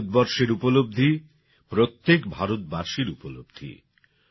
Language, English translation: Bengali, India's achievements are the achievements of every Indian